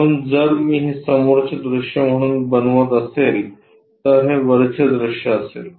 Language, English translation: Marathi, So, if I am making this one as the front view front view, this one will be the top view